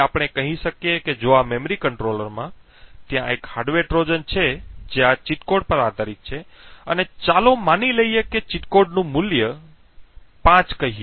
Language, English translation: Gujarati, So, this would prevent the triggers now let us say that if in this memory controller there is a hardware Trojan which is based on this cheat code and let us assume that the cheat code has a value of let us say 5